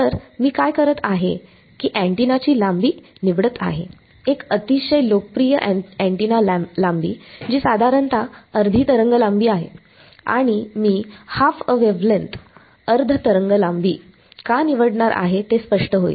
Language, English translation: Marathi, So, what I am and the antenna length I am going to choose a very popular antenna length, which is roughly half a wavelength and I will become clear why I am going to choose half a wavelength, and I am going to choose a very thin radius